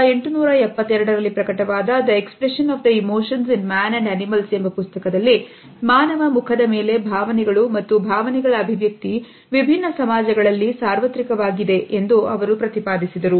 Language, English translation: Kannada, In a treatise, The Expression of the Emotions in Man and Animals which was published in 1872, he had propounded this idea that the expression of emotions and feelings on human face is universal in different societies